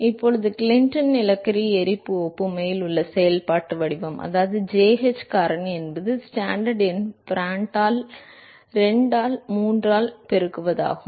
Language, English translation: Tamil, Now so, we said that the functional form in the Clinton coal burn analogy, that is jh factor is Stanton number multiplied by Prandtl to the power of 2 by 3